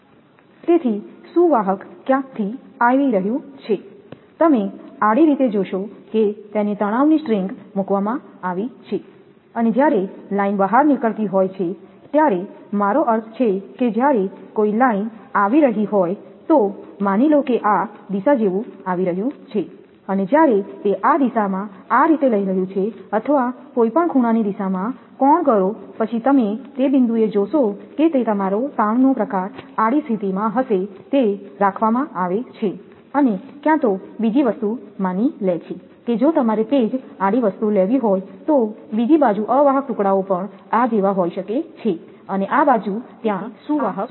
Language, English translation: Gujarati, So, conductor is coming from somewhere, you will see the horizontally it is placed tension string and when it is line is going out either I mean when line coming from suppose a line is coming like this direction and when it is taking this direction something like this or angle any angle direction, then you will find at that point it will be your stay your tension type, it in horizontal position, it is kept and either another thing is that for another side suppose, if you have you want to take the same horizontal thing then another side are also may be insulator pieces are there like this, it is there and this side conductor is there